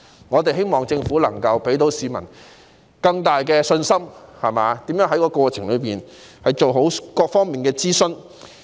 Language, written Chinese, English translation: Cantonese, 我們希望政府能夠給予市民更大信心，並解釋如何在過程中做好各方面的諮詢。, We hope the Government can give people more confidence and explain how it can undertake proper consultation in various aspects during the process